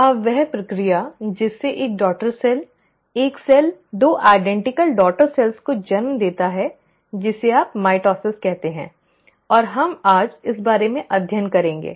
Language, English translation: Hindi, Now that process by which one daughter cell, one cell gives rise to two identical daughter cells is what you call as the mitosis and we will study about this today